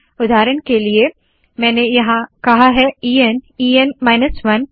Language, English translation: Hindi, For example here I have said E N, E N minus 1